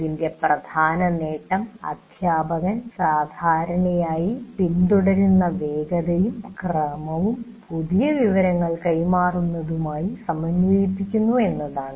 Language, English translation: Malayalam, The major advantage of this is the pace and the sequence followed by the teacher generally syncs with the delivery of new information